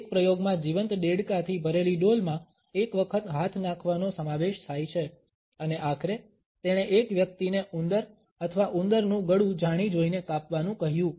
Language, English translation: Gujarati, An experiment included putting once hands in a bucket full of live frogs and ultimately he asked a person to deliberately cut the throat of a mouse or a rodent